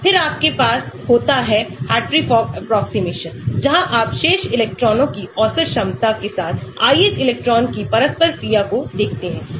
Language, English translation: Hindi, then you have the Hartree Fock approximation where you look at the interaction of the ith electron with an average potential of rest of the electrons